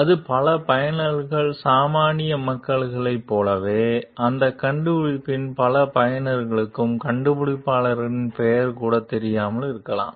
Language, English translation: Tamil, It may be the case, like the many users the common people, the many users of that invention may not even know the inventors name